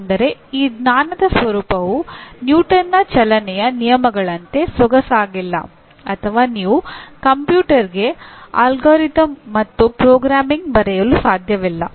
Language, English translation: Kannada, That means the nature of this knowledge is not as elegant as like Newton’s Laws of Motion or you cannot write an algorithm and programming to the computer